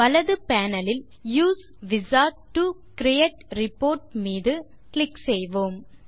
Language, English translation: Tamil, On the right panel, let us click on Use Wizard to create report